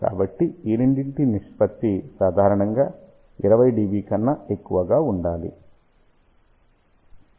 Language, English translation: Telugu, So, the ratio of the two should be generally greater than 20 dB